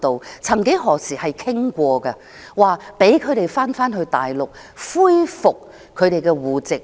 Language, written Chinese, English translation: Cantonese, 我們曾幾何時也討論過讓他們回去大陸，恢復其戶籍。, Some time ago we did discuss letting them return to the Mainland and resume their household registration